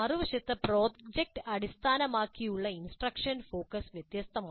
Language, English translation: Malayalam, On the other hand the project based instructions focus is different